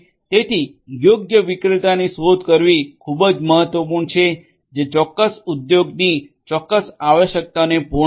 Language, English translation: Gujarati, So, it is very important to look for the correct vendor that will cater to the specific requirements that a particular industry has